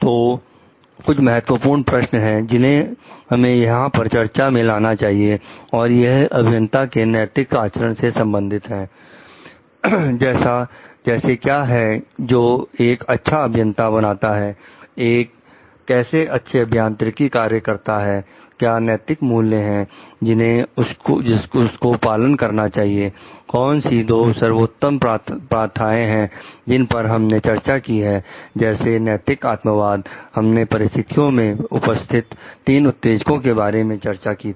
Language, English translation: Hindi, So, these are some of the like key questions that, we have discussed over here with respect to ethical conducts of engineers coming to what makes a good engineer, what is a good engineering practice, what are the ethical values to be followed then, what are the two best practices then, we have discussed about like ethical subjectivism, we have discussed about the three triggers present in the situation